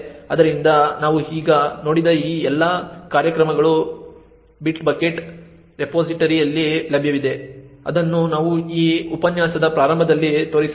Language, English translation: Kannada, So, all of these programs that we have just seen is available in the bitbucket repository which we should have shown at the start of this lecture